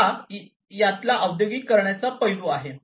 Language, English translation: Marathi, So, this is the industrialization aspect of it